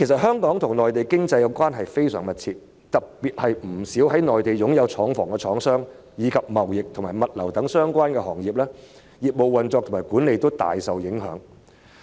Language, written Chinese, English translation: Cantonese, 香港與內地的經濟關係非常密切，特別是不少在內地擁有廠房的廠商，以及貿易和物流等相關行業，其業務運作和管理均大受影響。, Given the close economic ties between Hong Kong and the Mainland many manufacturers who have factories on the Mainland and related industries such as trade and logistics have particularly been adversely affected in terms of business operation and management